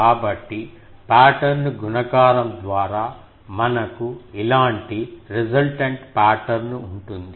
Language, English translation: Telugu, So, pattern multiplication will give that I will have the resultant pattern like this